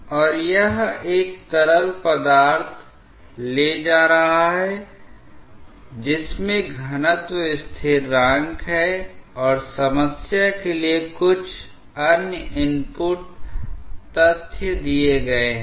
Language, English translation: Hindi, And it is carrying a fluid with density equal to constant and some other input data are given for the problem